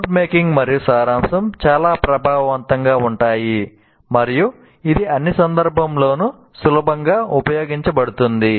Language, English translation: Telugu, So note making and summarization is quite effective and it can be readily used in all contexts